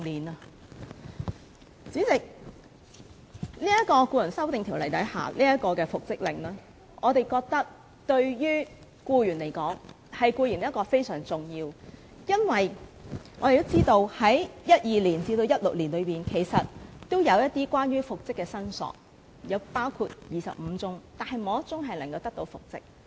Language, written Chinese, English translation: Cantonese, 代理主席，《條例草案》提出的復職令，對僱員非常重要，因為我們知道在2012年至2016年期間有25宗關於復職的申索，但沒有1宗的申索人能得到復職。, Deputy President the order for reinstatement proposed in the Bill is very important to employees because we are aware that between 2012 and 2016 there were 25 cases demanding for reinstatement none of the claimants was reinstated